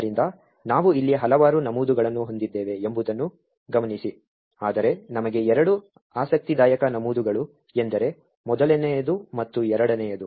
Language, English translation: Kannada, So, notice that we have several entries over here but two interesting entries for us is the first and second